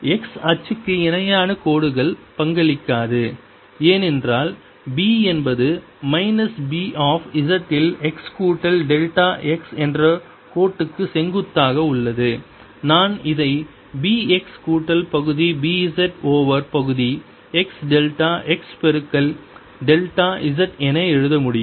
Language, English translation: Tamil, the lines parallel to x axis do not contribute because b is perpendicular to that line, minus b of z at x plus delta x, which i can write as b x plus partial b z over partial x, delta x multiplied by delta z, and this is going to be equal to mu, zero, epsilon zero, d, e, d, t